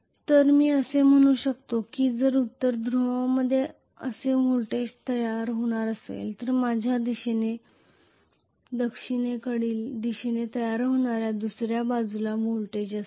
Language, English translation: Marathi, So I can say if I am going to have a voltage generated like this in a North Pole I will have on the other side voltage generated like this on the South Pole this is how it is